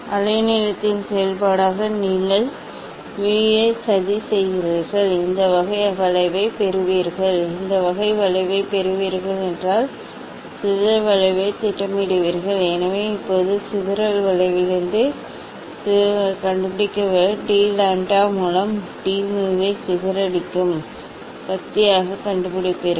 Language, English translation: Tamil, then you plot mu as a function of wavelength you will get this type of curve, you will get this type of curve plot the data, plot the data these dispersion curve So now, from the dispersion curve, this dispersive curve, find out the, you find out the d mu by d lambda that is dispersive power, you calculate dispersive power at different at different wavelength